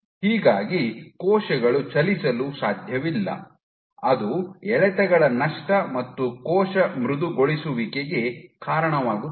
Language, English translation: Kannada, So, cells cannot move that leads to loss of tractions and cell softening